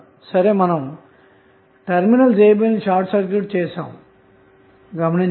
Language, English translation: Telugu, We have to first short circuit the terminal a, b